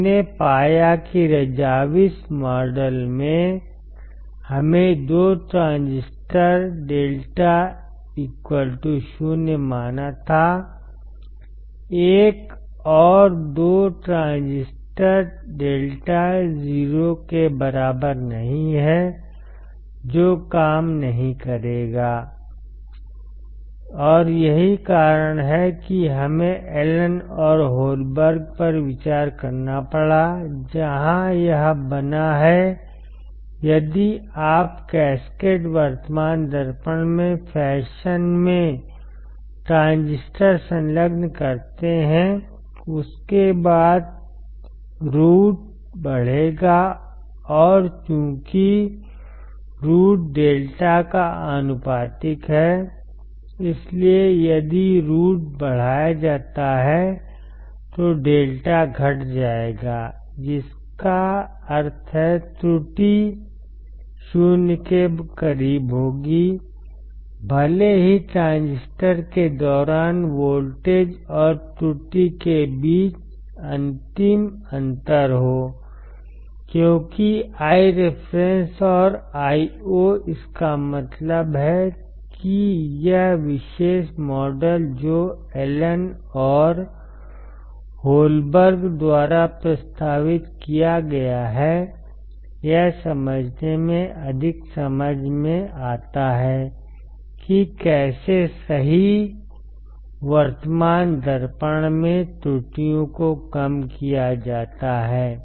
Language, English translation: Hindi, We found that the in the Razavis model, we had to assume 2 transistor lambda equals to 0, another 2 transistor lambda is not equals to 0, which will not work, and that is why we had to consider Allen and Holberg where it make sense that if you if you attach transistors in the fashion in the cascaded current mirror, then your R OUT will increase, and since R OUT is inverse proportional to lambda, that is why your lambda will decrease if R OUT is increased; which means, your error would be close to 0, even if there is a final difference between your voltage and error across the transistors I reference and Io; that means, that this particular model which is proposed by Allen and Holberg makes more sense to understand, how the errors are reduced in the simplest current mirror right